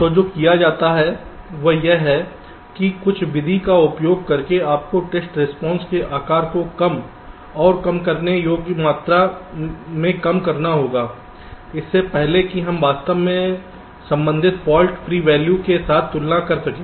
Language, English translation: Hindi, so what is done is that, using some method, you have to reduce the size of these test responses to a small and manageable volume before we can actually compare with the corresponding fault free value